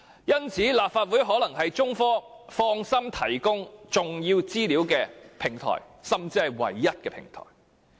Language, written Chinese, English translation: Cantonese, 因此，立法會可能是中科放心提供重要資料的唯一平台。, Thus the Legislative Council may be the only platform where China Technology can divulge important information with peace of mind